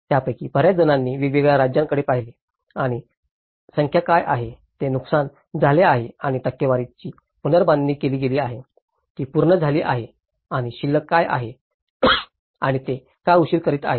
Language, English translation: Marathi, Many of that, they looked at different states, what are the number, which has been damaged and the percentage have been reconstructed, which have been completed and what is the balance okay and why they are delayed